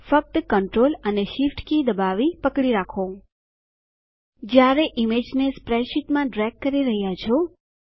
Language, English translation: Gujarati, Just press and hold the Control and Shift keys while dragging the image into the spreadsheet